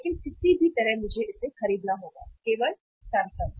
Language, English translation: Hindi, But anyhow I have to buy it, only Samsung